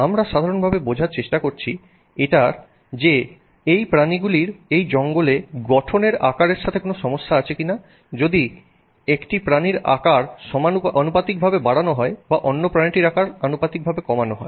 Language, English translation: Bengali, We are simply trying to understand if with respect to size structurally is there an issue with these animals if you simply raise the size of one animal proportionally or decrease the size of another animal proportionally